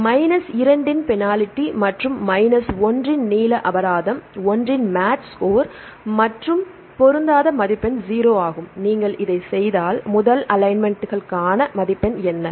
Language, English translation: Tamil, Length penalty of minus 1 and the match score of one and the mismatch score is 0, if you do this, what is the score for the first alignments; what is a match score